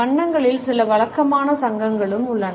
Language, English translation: Tamil, Colors also have certain customary associations